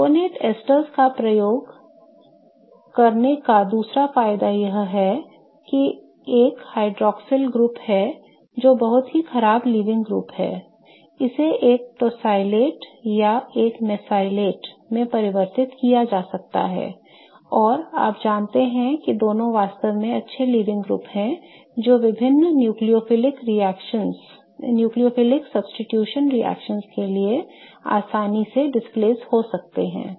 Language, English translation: Hindi, The other advantage of using sulfony testers is that a hydroxyl group which is a very poor leaving group it can be converted to a tocolate or a mesolate and you know both are really good leaving groups which can be readily displaced by various nucleophilic substitution reactions